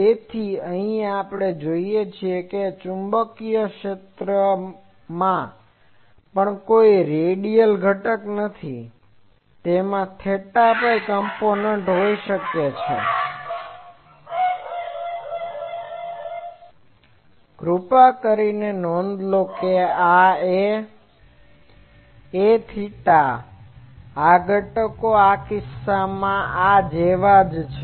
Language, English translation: Gujarati, So, here also we see that the magnetic field also does not have any radial component, it may have theta phi component please note there is a this A theta this components is like this in this case